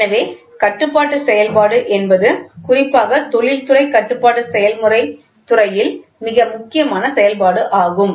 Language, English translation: Tamil, So, control function is most important function especially in the field of industrial control process